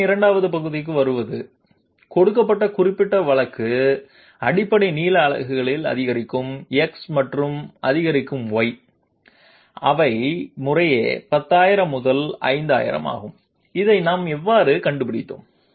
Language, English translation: Tamil, Coming to the 2nd part of the problem, for the particular case that has been given, incremental x and incremental y in basic length units, they are 10,000 and 5000 respectively, how did we find this out